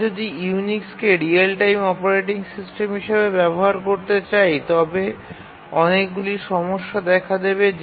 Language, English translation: Bengali, If we want to use Unix as a real time operating system, we will find many problems